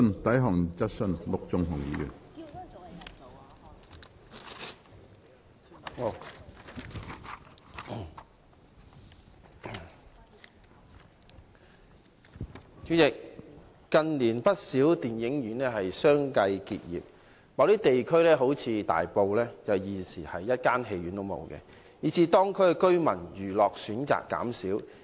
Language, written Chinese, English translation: Cantonese, 主席，近年，有不少電影院相繼結業，某些地區現已沒有電影院，以致當區居民的娛樂選擇減少。, President in recent years quite a number of cinemas have closed down one after another . At present there is no cinema in certain districts eg